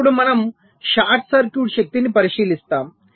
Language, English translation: Telugu, now we look at short circuit power